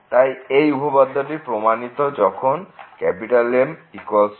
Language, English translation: Bengali, So, the theorem is proved in this case when =m